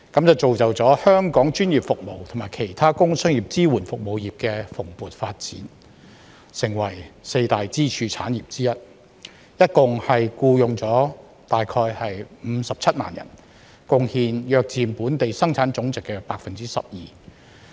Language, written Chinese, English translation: Cantonese, 這造就了香港專業服務及其他工商業支援服務業的蓬勃發展，成為四大支柱產業之一，共僱用約57萬人，貢獻約佔本地生產總值 12%。, As a result professional services and other producer services in Hong Kong have developed prosperously and become one of the four major pillar industries employing totally around 570 000 people and contributing roughly 12 % to our Gross Domestic Product GDP